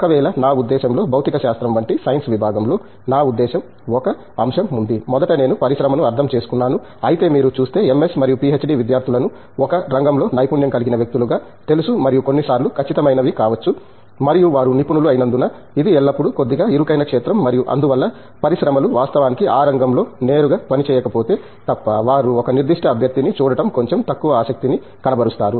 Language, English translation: Telugu, In the case of, I mean a Science Department like physics there are, I mean there is one aspect that I mean, first of all I mean the industry anyway it looks at you know MS and PhD students as people who are specializing in a field and may be some times the exacts and since they are a specialist, it’s always a little narrower field and therefore, unless the industries actually directly working on that field they may find it little less interesting to look at a particular candidate